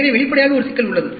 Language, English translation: Tamil, So obviously, there is a problem